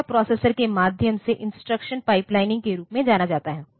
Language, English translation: Hindi, So, this is this is known as instruction pipelining through the processor